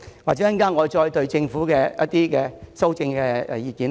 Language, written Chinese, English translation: Cantonese, 我稍後會再就政府的修正案發表我的看法。, I will later speak on the Governments amendments